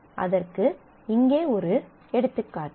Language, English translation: Tamil, So, here is an example